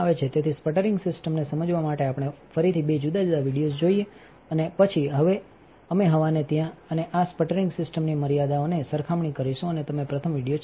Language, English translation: Gujarati, So, let us see again two different videos to understand the sputtering system and then we will compare the air wherever and the limitations of this sputtering system and you play the first video